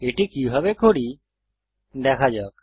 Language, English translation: Bengali, Lets see how to do this